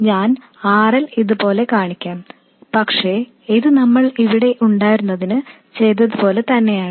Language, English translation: Malayalam, I will show RL like this but it is exactly the same as what you have here